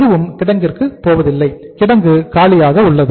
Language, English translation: Tamil, Nothing is going to the warehouse and warehouse is empty